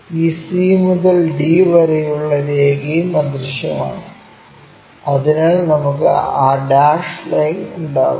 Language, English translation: Malayalam, And this c to d line also invisible, so we will have that dashed line